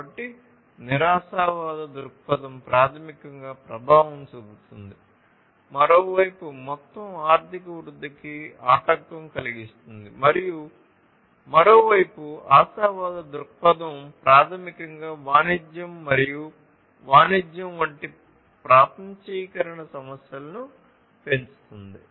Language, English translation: Telugu, So, pessimistic view basically effects, hinders the overall economic growth, on the other hand, and the optimistic view on the other hand, basically, increases the globalization issues such as trade and commerce